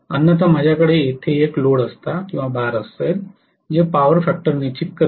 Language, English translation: Marathi, Otherwise I will have a load here which will determine the power factor